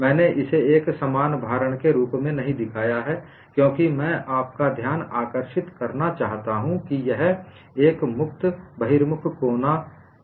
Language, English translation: Hindi, I have not shown this as a uniform loading because I want to draw your attention that this is a free outward corner